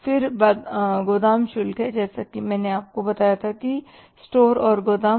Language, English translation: Hindi, Warehouse, as I told you store and warehouse